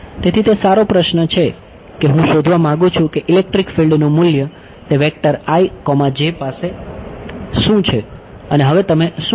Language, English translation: Gujarati, So, good question I want to find out what is the value of the electric field at i comma j vector now what will you do